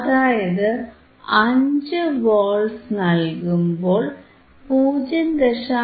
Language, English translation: Malayalam, Tthat means, 5 volts by 0